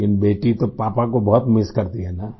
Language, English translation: Hindi, But the daughter does miss her father so much, doesn't she